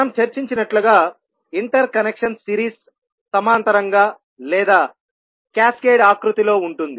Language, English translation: Telugu, As we discussed that interconnection can be either in series, parallel or in cascaded format